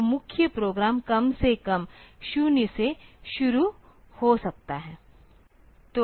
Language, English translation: Hindi, So, the main program can start from say at least 0